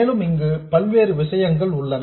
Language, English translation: Tamil, And also there are different things here